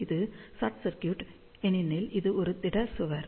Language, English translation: Tamil, So, this is short circuit, because it is a solid wall